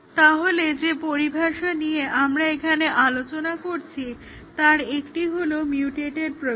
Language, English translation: Bengali, So, the terminology that we discussed here one is a mutated program